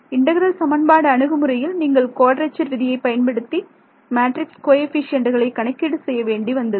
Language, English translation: Tamil, Like in your integral equation approach there you had to calculate the matrix coefficients by using quadrature rule